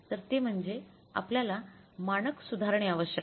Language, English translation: Marathi, So, what we have to do here is we have to revise the standard